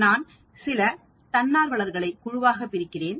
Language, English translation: Tamil, So, a group of volunteers are chosen